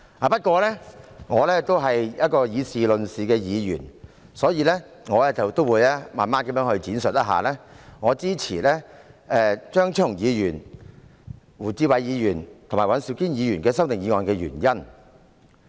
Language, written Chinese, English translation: Cantonese, 不過，我是以事論事的議員，所以，我會慢慢闡述我支持張超雄議員、胡志偉議員及尹兆堅議員的修訂議案的原因。, Nevertheless I am a Member who makes comments based on facts . Therefore I will take the time to expound my reasons for supporting the amending motions proposed by Dr Fernando CHEUNG Mr WU Chi - wai and Mr Andrew WAN